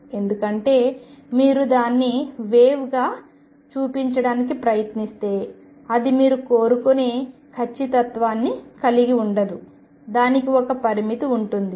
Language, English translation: Telugu, Because the moment you try to show it has a wave it cannot be localized to the accuracy which you wish to have there is a limitation